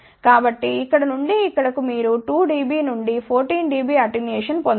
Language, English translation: Telugu, So; that means, from here to here you can get 2 dB to 14 dB attenuation